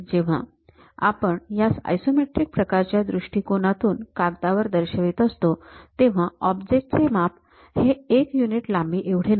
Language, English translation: Marathi, When we are representing it on a paper in the perspective of isometric projection; the object size may not be one unit length, it changes, usually it change to 0